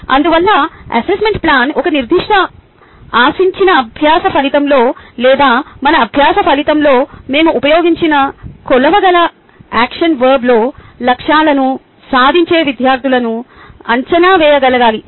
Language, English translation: Telugu, hence, assessment plan should be able to evaluate students achieving goals in a specified expected learning outcome or the measurable action verb which we have used in our learning outcome